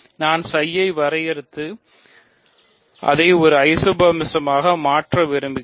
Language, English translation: Tamil, So, I want to define psi and make it an isomorphism